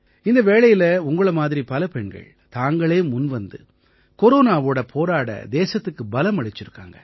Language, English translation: Tamil, During corona times many women like you have come forward to give strength to the country to fight corona